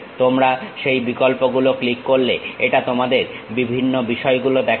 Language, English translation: Bengali, You click that option it shows you different things